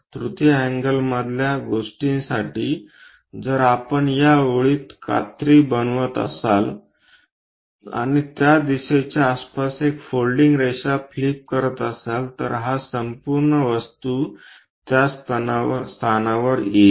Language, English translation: Marathi, For third angle thing if we are making a scissor in this line and flip it a folding line around that direction, this entire object comes to this location